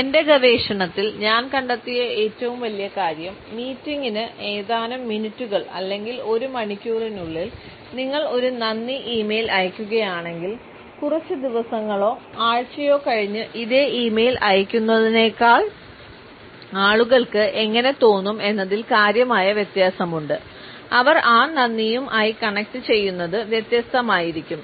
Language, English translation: Malayalam, One of the greatest things, I found in my research is that if you send a thank you e mail within a few minutes or an hour of the meeting versus a few days or week later there is a significant difference in how people feel connected to that thank you